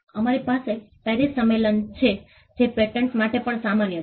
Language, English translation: Gujarati, We have the PARIS convention which is common for patterns as well